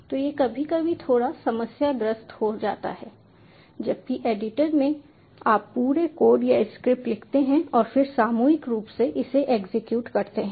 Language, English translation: Hindi, so that sometimes becomes bit problematic, whereas in the editor you write the whole code or the script and then collectively execute it